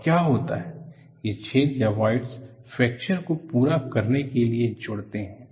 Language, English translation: Hindi, And what happens is, these holes are voids, join up to complete the fracture